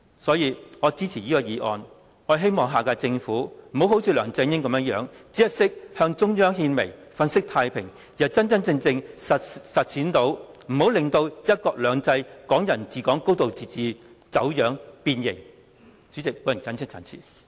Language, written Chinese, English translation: Cantonese, 因此，我支持議案，希望下屆政府不要像梁振英般，只懂得向中央獻媚、粉飾太平，而是真真正正聆聽及回應市民訴求，不要令"一國兩制"、"港人治港"、"高度自治"走樣、變形。, For this reason I support the motion with the hope that the next - term Government will not act like LEUNG Chun - ying who curries favour with the Central Authorities and pretends that everything is going on well; instead it will genuinely take on board and respond to public aspirations so that one country two systems Hong Kong people ruling Hong Kong and a high degree of autonomy will not be distorted and deformed